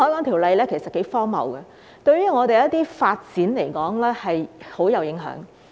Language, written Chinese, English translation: Cantonese, 《條例》其實頗荒謬，對於我們的一些發展來說極具影響。, The Ordinance is actually quite absurd and has a significant impact on some of our developments